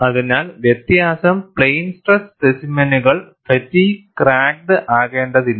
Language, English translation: Malayalam, So, the difference is, plane stress specimens need not be fatigue cracked